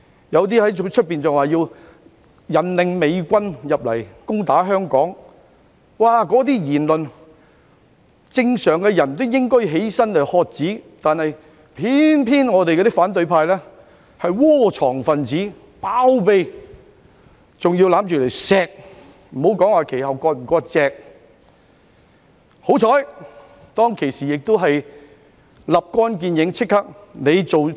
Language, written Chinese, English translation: Cantonese, 有些人更在外面說甚麼引領美軍入城攻打香港，正常人聽到這些言論也會站起來喝止，但偏偏反對派窩藏和包庇這些分子，更擁着他們加以疼惜，也不說之後有否割席了。, Some even talked about leading the US troops to attack Hong Kong out there . While a sane man will rise and shout to stop them from saying such remarks the opposition camp harboured sheltered and embraced them not to mention if they have severed ties with them afterwards